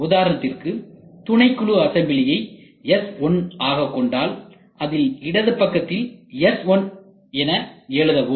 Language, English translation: Tamil, For example, if the subsystem assembly is S1 please write it has left hand side S1